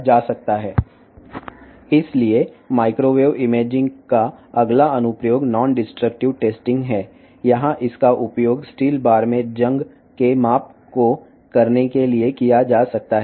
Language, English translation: Telugu, So, in next application of the microwave imaging is non destructive testing, here it can be used to do the measurement of corrosion in the steel bar